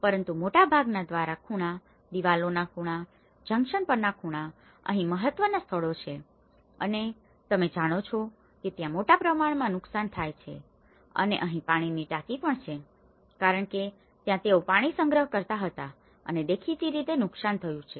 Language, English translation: Gujarati, But if it is and also the corners most of the corners during the openings, at the walls, the junctions these are the most crucial places, you know where the damage occurs and also the water tanks which has because this is where they used to store the water and obviously it got damaged